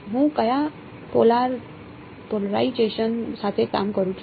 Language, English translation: Gujarati, What polarization am I working with